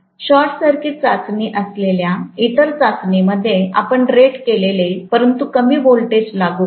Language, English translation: Marathi, And in the other test which is short circuit test, you will apply rated current but lower voltage